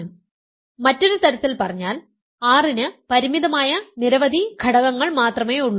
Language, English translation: Malayalam, So, in other words R has only finitely many elements